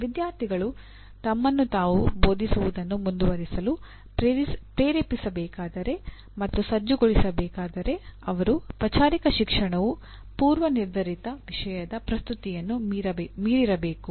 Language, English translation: Kannada, If students are to be motivated and equipped to continue teaching themselves their formal education must go beyond presentation of predetermined content